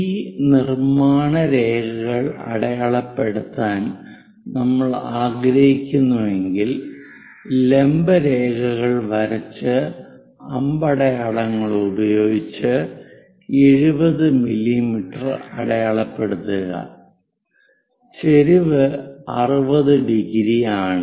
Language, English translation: Malayalam, If we want to mark these construction lines, drop down these vertical lines and mark by arrows 70, and the other inclination is this is 60 degrees